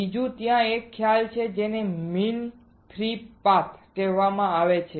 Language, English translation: Gujarati, Second is there is a concept called mean free path